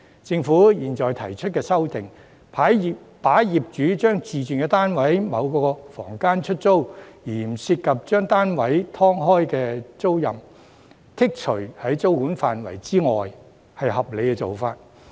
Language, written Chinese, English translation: Cantonese, 政府現時提出修訂，把業主將自住單位的某個房間出租而不涉及把單位"劏開"的租賃，剔除於租管範圍之外，是合理的做法。, It is thus reasonable for the Government to propose the current amendment to exclude certain types of tenancies from the application of regulated tenancies ie . tenancies where the landlord resides in a unit and only lets a room in the unit as a dwelling without involving subdivision of the unit